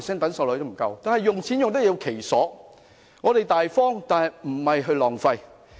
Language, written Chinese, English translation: Cantonese, 但是，錢要用得其所，我們要大方，但亦不能浪費。, The money should be wisely and appropriately spent . We must be generous but not be wasteful